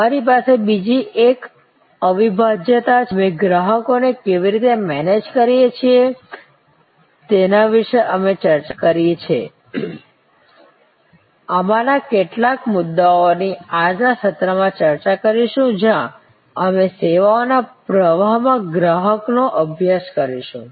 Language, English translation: Gujarati, We have the other one inseparability, so we have discuss about how we kind of manage consumers, some of these issues we will discuss in today's session, where we study consumer in a services flow